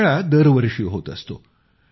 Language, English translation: Marathi, This fair takes place every year